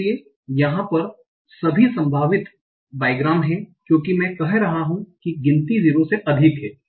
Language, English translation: Hindi, So here this is all possible bygrams because I am saying the count is greater than 0